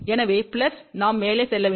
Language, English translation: Tamil, So, for plus we need to go up